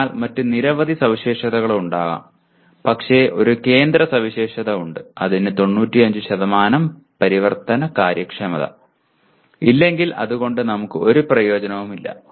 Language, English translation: Malayalam, So there may be several other specifications but one central one, if it does not have 95% it is of no use to us